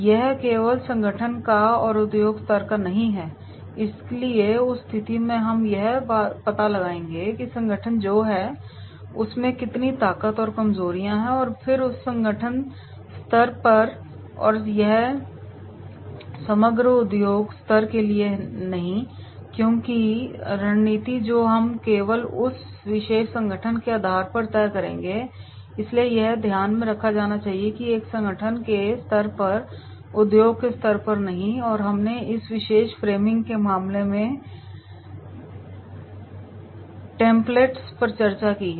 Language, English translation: Hindi, This is of the organization only and not industry level, so therefore in that case we will find out that is whatever is the organization is having the strengths and weaknesses then that is at the organization level and this is not for the overall industry level because the strategy which we will decide on the basis of that particular organization only, so this is to be taken into consideration that is at organization level and not at the industry level, we have discussed the case templates in the form of this particular framing